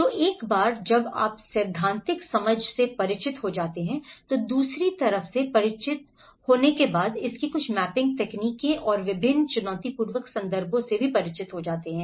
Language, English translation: Hindi, So once you are familiar with the theoretical understanding, the second you are familiar with some of the mapping techniques of it and getting familiar with different challenging context